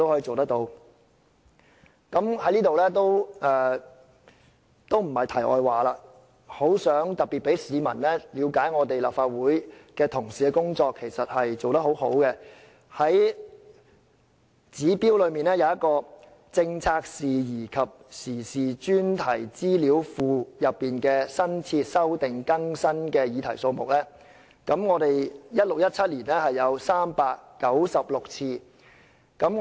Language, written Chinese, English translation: Cantonese, 這不是題外話，我想讓市民了解立法會同事的工作其實做得很好，指標中有一項"政策事宜及時事專題資料庫內新設/修訂/更新的議題數目 "，2016-2017 年度的預算是396個。, This is not a digression . I just want the public to understand that colleagues in the Legislative Council are actually doing a great job . One of the indicators is topics under databases on policy and topical issues createdrevisedupdated the estimate of which is 396 in 2016 - 2017